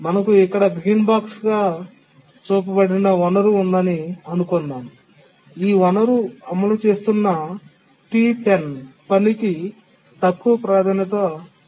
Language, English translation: Telugu, We have a resource shown as a green box here and we have a task T10 which is executing